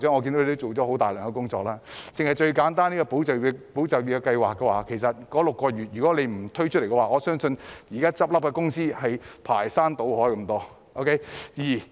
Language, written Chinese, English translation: Cantonese, 簡單以"保就業"計劃來說，如果當局不推出這計劃向僱主提供6個月補貼的話，我相信現在很多公司會排山倒海地倒閉。, Simply taking ESS as an example had the authorities not introduced such a scheme to provide employers with six - month allowances I believe there would have been an avalanche of companies closing down